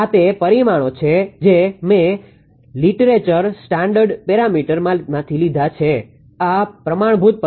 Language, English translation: Gujarati, These are the parameter actually I have taken from the from literature standard parameters these are the standard parameters